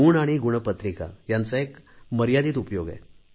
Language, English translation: Marathi, Marks and marksheet serve a limited purpose